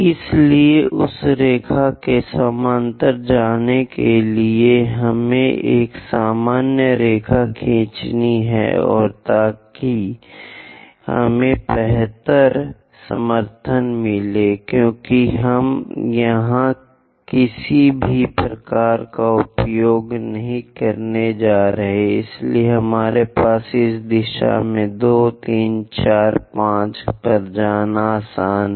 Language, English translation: Hindi, So, to go parallel to that line, let us draw a normal and so that we will have better support because we are not using any drafter here, so it is easy for us to go in this direction 2, 3, 4, 5